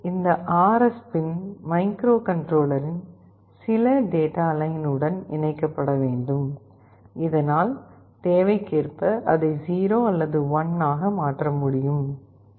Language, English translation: Tamil, This RS pin has to be connected to some data line of the microcontroller so that it can change it to 0 or 1 as per the requirement